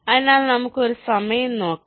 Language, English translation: Malayalam, so lets look at one of the time